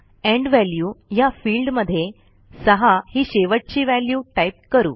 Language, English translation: Marathi, In the End value field, we will type the last value to be entered as 6